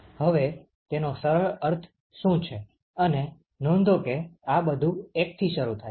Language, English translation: Gujarati, So, now what it simply means and note that everything all of these they start from 1 ok